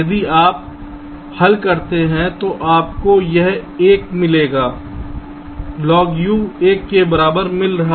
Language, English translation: Hindi, so if you solve, you will be getting this is one log u equal to one